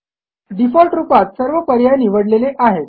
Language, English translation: Marathi, All the options are selected by default